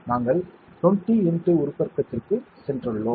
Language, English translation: Tamil, We have gone to 20 x magnification